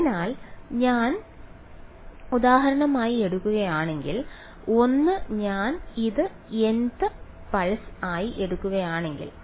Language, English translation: Malayalam, So, if I take for example, 1 if I take this to be the n th pulse